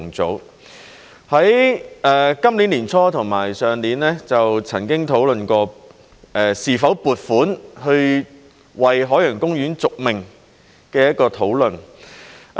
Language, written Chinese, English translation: Cantonese, 在今年年初和去年就曾經討論過是否撥款為海洋公園續命。, Discussions took place at the beginning of this year and in last year as regards whether funding should be provided to keep OP afloat